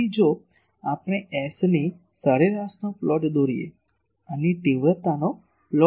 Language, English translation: Gujarati, So, we can plot S average, this magnitude of this if we plot